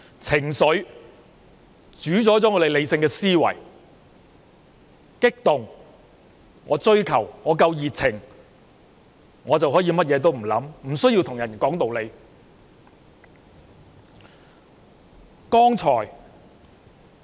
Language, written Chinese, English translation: Cantonese, 情緒主宰了理性思維，只要激動、想追求、滿有熱情，就可以甚麼都不想，不需要講道理。, Emotions prevail over rationality . As long as one agitates for something with great passion one can disregard everything with no need to talk with reasons